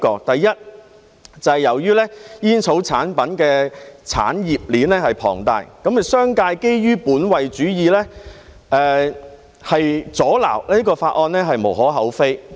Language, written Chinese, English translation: Cantonese, 第一，由於煙草產品的產業鏈龐大，商界基於本位主義，阻撓法案是無可厚非的。, Firstly given the huge industry chain of tobacco products it is understandable that the business sector would interfere with the Bill from an egocentric perspective